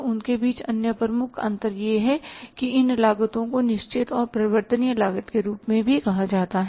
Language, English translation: Hindi, So, and the other major differentiation between them is that these costs are called as the fixed and the variable cost also